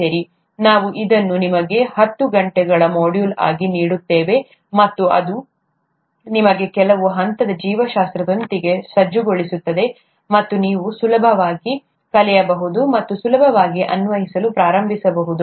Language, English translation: Kannada, Okay, we’ll give this to you as a ten hour module, and that would equip you with some level of biology with which you can learn further with ease and also start applying with ease